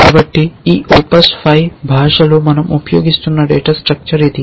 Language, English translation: Telugu, So, this is the data structure that we are using in this language OPS5